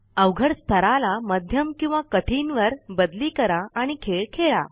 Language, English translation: Marathi, Change the difficulty level to Medium or Hard and play the game